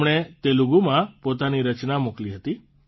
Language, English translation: Gujarati, She had sent her entry in Telugu